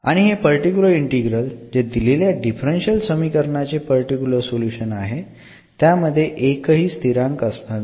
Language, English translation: Marathi, And this particular integral which is a particular a solution of this given differential equation will have will not have a constant